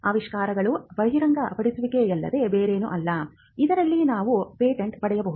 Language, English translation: Kannada, Inventions are nothing but disclosures which are made in a way in which you can get a patent granted